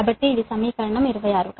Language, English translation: Telugu, so this is equation twenty six